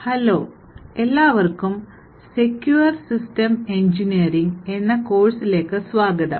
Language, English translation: Malayalam, Hello, and welcome to this course of Secure Systems Engineering